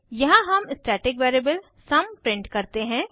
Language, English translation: Hindi, Here we print the static variable sum